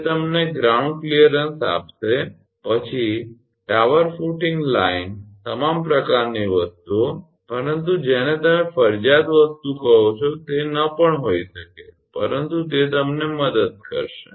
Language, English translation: Gujarati, It should give you ground clearance then tower footing line all sort of things, but may not be what you call mandatory thing, but it may help you